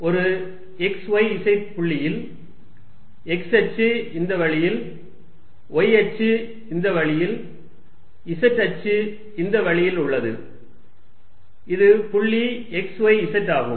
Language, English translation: Tamil, At some point x, y, z with x axis this way, y axis this way, z axis this way, and this is point x, y, z